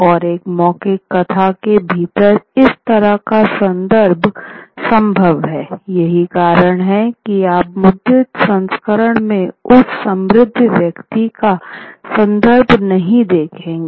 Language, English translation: Hindi, And that kind of referencing is possible within an oral narrative, which is why you wouldn't see that reference to that rich person in the printed version